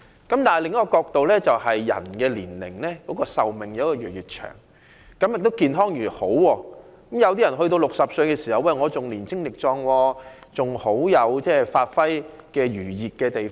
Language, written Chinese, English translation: Cantonese, 但從另一角度來看，人們的壽命越來越長，亦越來越健康，有些人活到60歲仍很壯健，還有發揮餘熱的地方。, But from another perspective with an increasing long life expectancy and improving health some people are still physically strong at 60 years of age and capable of bringing their strength into play